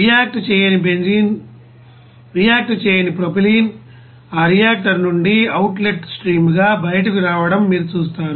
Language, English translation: Telugu, And also you will see that unreacted benzene unreacted propylene will be you know coming out from that reactor as a you know outlet stream